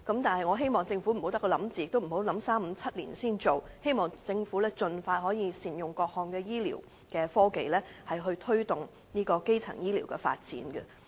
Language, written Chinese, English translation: Cantonese, 但是，我希望政府不要只是構思，也不要考慮數年後才敲定推行，希望政府可以盡快善用各項醫療科技，推動基層醫療的發展。, Yet I call on the Government not to get stuck in the thinking process making it unable to come up with a decision until several years later . I hope that the Government can make good use of various health care technologies as soon as possible to push ahead with the development of primary health care